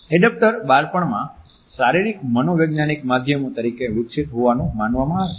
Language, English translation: Gujarati, Adaptors are thought to develop in childhood as physio psychological means of coping